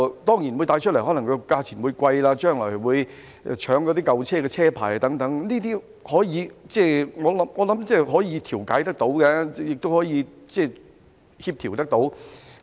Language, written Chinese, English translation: Cantonese, 當然，這可能會帶出價錢貴的問題，將來市民可能會搶舊車車牌，但我認為這些問題是可以調解，可以協調的。, Of course this may bring up the problem of high prices . In the future people may strive to get registration papers of old cars but I think these problems can be mediated and coordinated